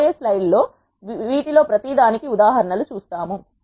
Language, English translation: Telugu, We will see examples for each of this in the coming slides